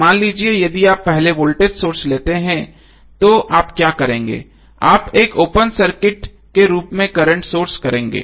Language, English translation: Hindi, So let us take 1 source at time suppose if you take voltage source first then what you will do you will current source as a open circuit